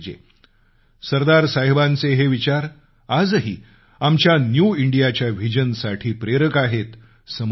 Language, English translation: Marathi, These lofty ideals of Sardar Sahab are relevant to and inspiring for our vision for a New India, even today